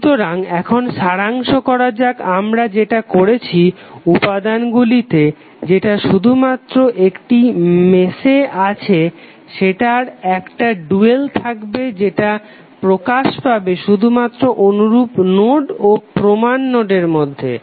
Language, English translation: Bengali, So now let us summaries what we have done the elements that appear only in one mesh must have dual that appear between the corresponding node and reference node only